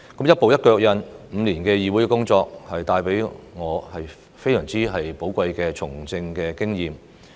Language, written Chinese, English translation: Cantonese, 一步一腳印 ，5 年的議會工作帶給我非常寶貴的從政經驗。, Working as a Member of the Council over the past five years has step by step gained me the most precious political experience